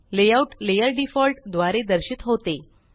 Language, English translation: Marathi, The Layout layer is displayed by default